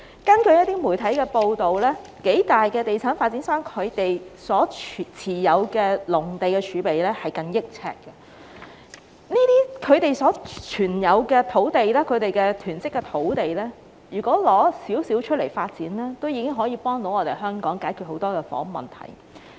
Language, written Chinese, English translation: Cantonese, 根據一些媒體報道，數大地產發展商所持有的農地儲備近億平方呎，如從他們所持有、所囤積的土地中拿出一些以供發展，已可協助香港解決很多房屋問題。, According to some media reports several major developers have held nearly 100 million sq ft of agricultural land reserve . If some of the land held and hoarded by them could be used for development many housing problems in Hong Kong would be resolved